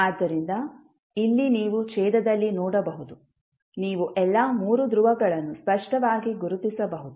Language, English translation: Kannada, So, here you can see in the denominator, you can clearly distinguish all three poles